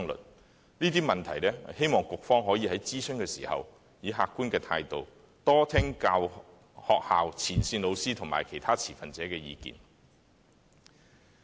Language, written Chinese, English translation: Cantonese, 有關這些問題，我希望局方可以在諮詢時，以客觀的態度，多聽學校、前線老師和其他持份者的意見。, Regarding these issues I hope the Education Bureau can adopt an objective attitude to listen to the views of schools frontline teachers and other stakeholders during the consultation